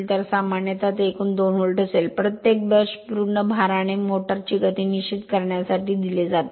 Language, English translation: Marathi, So generally, it will be total will be 2 volt right, it is given per brush determine the speed of the motor at full load